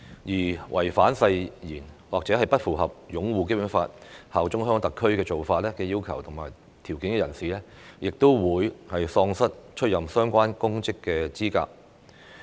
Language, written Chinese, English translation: Cantonese, 任何人士如違反誓言，或不符合擁護《基本法》、效忠香港特區的要求和條件，即喪失出任相關公職的資格。, Any person who is in breach of an oath or fails to fulfil the requirements and conditions on upholding the Basic Law and bearing allegiance to HKSAR shall be disqualified from holding the relevant public office